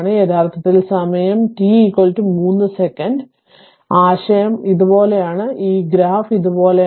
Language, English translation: Malayalam, Actually at time t is equal to 3 second and actually idea is like this, this graph is like this